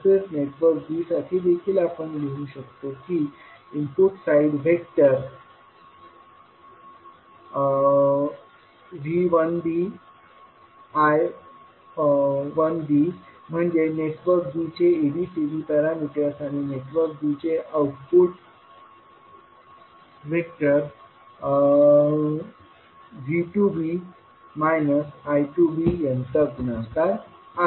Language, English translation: Marathi, Similarly, for network b also we can write V 1b I 1b as an input vector equal to ABCD parameters for network b multiplied by vector output vector of V 2b and minus I 2b